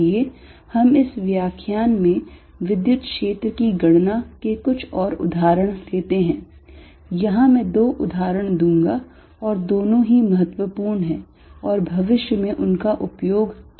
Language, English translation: Hindi, Let us do some more examples of calculating electric field in this lecture, I will do two examples here and both are important and will be used in the future